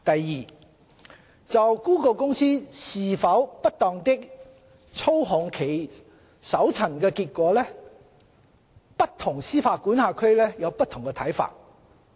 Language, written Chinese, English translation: Cantonese, 二就谷歌公司是否不當地操控其搜尋結果，不同司法管轄區有不同看法。, 2 Different jurisdictions hold different views on whether Google Inc has wrongfully manipulated its search results